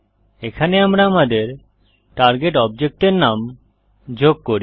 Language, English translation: Bengali, Here we add the name of our target object